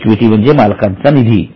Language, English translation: Marathi, Now only equity means owner's fund